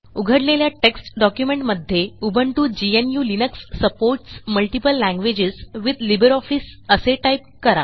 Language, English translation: Marathi, In the opened text document, lets type, Ubuntu GNU/Linux supports multiple languages with LibreOffice